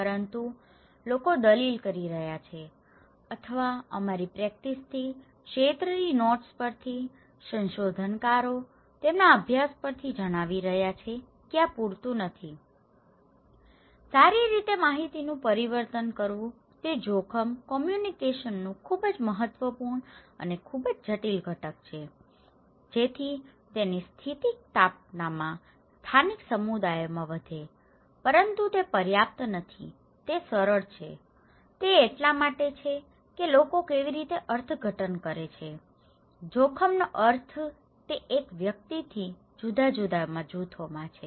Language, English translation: Gujarati, But people are arguing or from our practices, from the field notes, researchers are reporting from their studies that this is may not be enough, well transforming the information is very important and very critical component of risk communications in order to enhance the resiliency of the local communities but that is not enough thatís simple okay, it is because how people interpret, the meaning of risk it varies from individual to individuals, groups to groups, okay